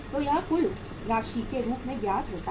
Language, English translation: Hindi, So this works out as the total amount here